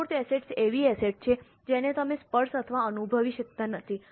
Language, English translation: Gujarati, Intangible assets are those assets which you can't touch or feel